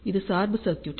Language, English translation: Tamil, This is the biasing circuit